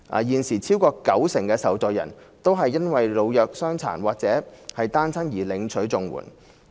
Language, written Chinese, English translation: Cantonese, 現時超過九成的受助人都是因為老弱傷殘或單親而領取綜援。, Over 90 % of the existing recipients are receiving CSSA because of old age illnesses disabilities or single parenthood